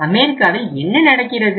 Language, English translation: Tamil, In US what happens